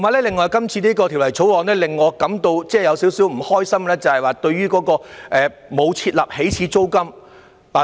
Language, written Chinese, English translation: Cantonese, 另外，今次的《條例草案》令我感到少許不開心，因為沒有設立起始租金。, Moreover the current Bill makes me a bit unhappy as it fails to set an initial rent